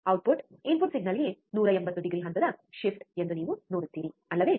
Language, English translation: Kannada, You see that the output is 180 degree phase shift to the input signal, isn't it